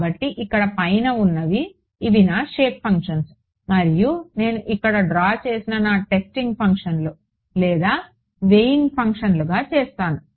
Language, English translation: Telugu, So, these above over here these are my shape functions and these guys that I have drawn over here these are what I will make into my testing functions or weight functions